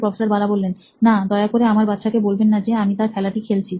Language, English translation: Bengali, No, please don’t tell my kid that I played his game